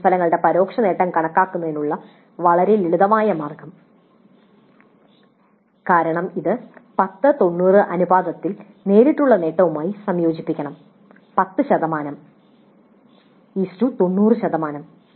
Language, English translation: Malayalam, So, very very simple way of calculating the indirect attainment of the course of this is to be combined with the direct attainment in the ratio of 10 is to 90, 10% 90%